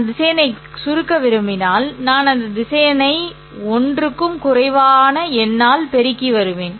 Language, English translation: Tamil, If I want to expand the vector, then I will take that vector and multiply it by a number greater than 1